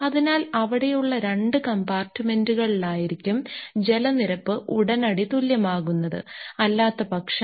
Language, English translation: Malayalam, So, it will be the two compartments there water level will be balanced immediately because otherwise